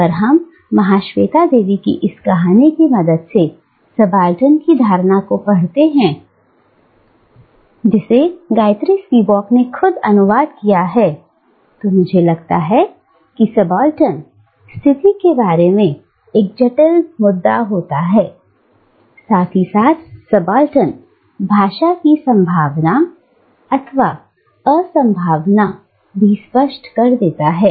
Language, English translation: Hindi, And, if we read the notion of subaltern with the help of this story by Mahasweta Devi, which Gayatri Spivak herself has translated, I think this complex issue about the subaltern position, as well as the possibility/impossibility of subaltern speech, will become clearer